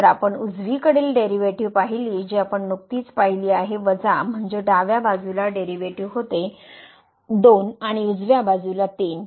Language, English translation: Marathi, So, the right side derivative which we have just seen was minus the left side derivative so was 2 and the right side was 3